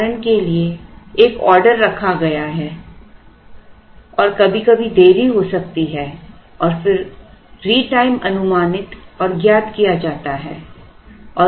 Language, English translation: Hindi, For example, an order is placed and sometimes there could be delays and then the retime is estimated and known